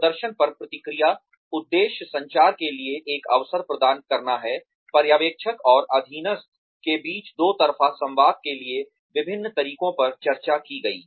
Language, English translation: Hindi, Purpose of feedback on performance is to provide, an opportunity for communication, for a two way dialogue between, the supervisor and the subordinate